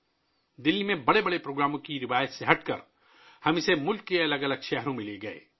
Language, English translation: Urdu, Moving away from the tradition of holding big events in Delhi, we took them to different cities of the country